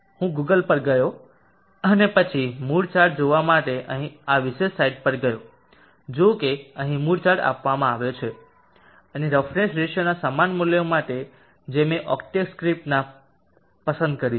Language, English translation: Gujarati, I went to Google and then went to this particular side here to look at the moody chart see that there is a moody chart given here and for similar values of roughness ratios which I have chosen in the octave script